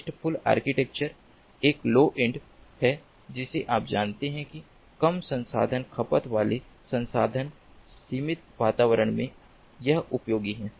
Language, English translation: Hindi, the restful architecture is a low end, you know, low resource consuming, resource limited environment